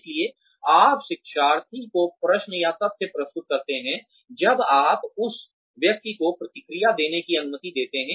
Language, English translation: Hindi, So, you present questions facts or problems to the learner, when you allow the person to respond